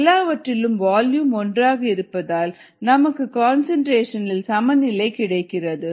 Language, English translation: Tamil, now, since all the volumes are the same, we get equality in concentrations